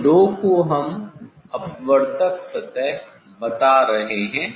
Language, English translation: Hindi, these two we are we tell the refracting surface refracting surface